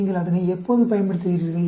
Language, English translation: Tamil, When do you use it